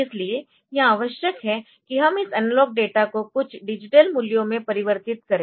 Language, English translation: Hindi, So, what is required is that we should convert this analog data into some digital values, ok